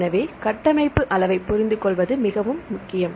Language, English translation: Tamil, So, it is very important to understand the structural level